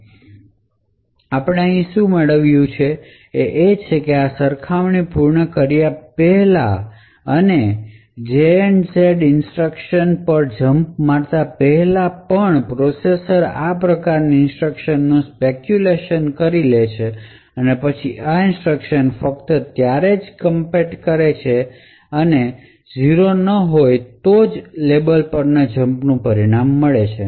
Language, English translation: Gujarati, So what we actually achieve over here is that even before completing the execution of this compare and jump on no zero instructions the processor could have actually speculatively executed these set of instructions and then commit these instructions only when the result of compare and jump on no 0 is obtained